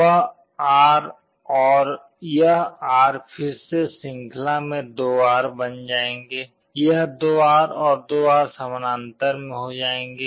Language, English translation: Hindi, That R and this R again in series will become 2R, this 2R and 2R in parallel will become R